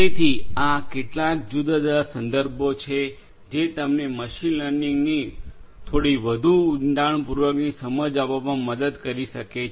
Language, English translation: Gujarati, So, these are some of these different references that can help you to get a little bit more in depth understanding of machine learning